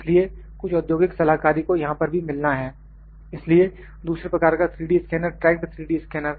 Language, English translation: Hindi, So, also getting some industry consultancy here as well so, 2nd type of 3D scanner is tracked 3D scanner; tracked 3D scanner